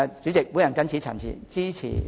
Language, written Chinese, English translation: Cantonese, 主席，我謹此陳辭，支持致謝議案。, With these remarks President I support the Motion of Thanks